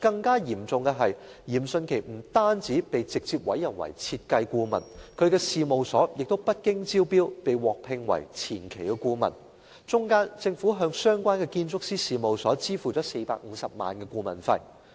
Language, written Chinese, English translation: Cantonese, 更嚴重的是，嚴迅奇不但被直接委任為設計顧問，其事務所也不經招標便獲聘為前期顧問，中間政府向相關建築師事務所支付了450萬元顧問費。, More importantly not only had Rocco YIM been directly appointed as design consultant his firm had also been appointed to provide pre - development consultancy service and the Government paid 4.5 million as consultancy fees